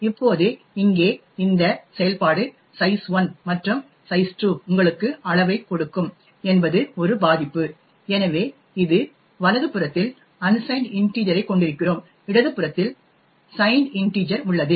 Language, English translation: Tamil, Now this operation over here size 1 plus size 2 would give you size is a vulnerability, so it is on the right hand side we have unsigned integers while on the left hand side we have a signed integer